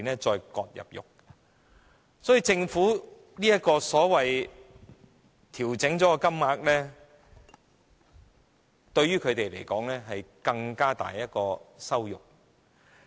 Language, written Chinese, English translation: Cantonese, 所以，政府這個所謂已調整的金額，對於他們而言，是更大的羞辱。, This so - called adjusted amount of compensation is thus a greater humiliation to them